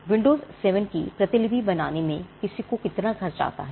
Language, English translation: Hindi, How much does it cost anyone to make another copy of windows 7